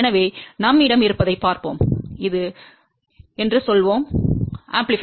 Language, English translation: Tamil, So, let us see what we have, let us say this is the amplifier